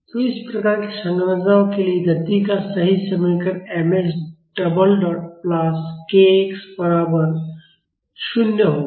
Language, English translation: Hindi, So, the correct equation of motion for these types of structures will be mx double dot plus kx is equal to 0